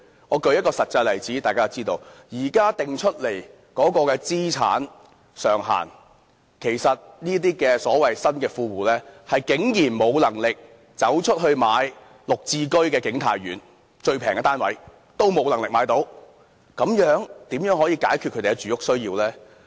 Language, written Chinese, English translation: Cantonese, 我舉出一個實際例子，以現在所訂的資產上限來計算，其實這些所謂新的富戶，是竟然沒有能力購置綠表置居先導計劃下景泰苑最便宜的單位，如此怎樣可以解決他們的住屋需要呢？, An actual example is that considering the asset limits set by the authorities these so - called new well - off tenants can actually not afford to purchase the cheapest unit of King Tai Court under the Green Form Subsidised Home Ownership Pilot Scheme . Hence how can their living needs be met?